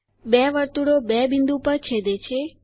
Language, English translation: Gujarati, The two circles intersect at two points